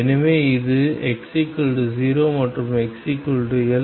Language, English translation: Tamil, So, this is x equals 0 and x equals L